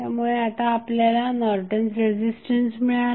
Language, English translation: Marathi, So, you get the Norton's equivalent of the circuit